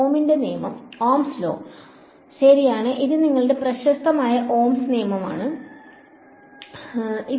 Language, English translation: Malayalam, Ohm’s law right this is your famous Ohm’s law ok